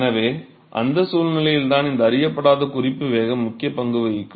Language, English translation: Tamil, So, it is at that situation where this unknown reference velocity will play an important role